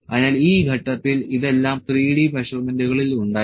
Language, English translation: Malayalam, So, at this juncture this was all in 3D measurements